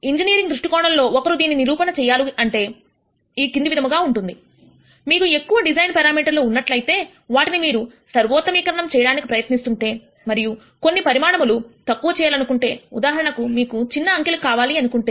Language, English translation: Telugu, From an engineering viewpoint one could justify this as the following;if you have lots of design parameters that you are trying to optimize and so on, you would like to keep the sizes small for example, so you might want small numbers